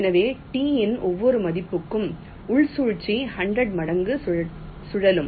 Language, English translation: Tamil, so for every value of t the inner value will looping hundred times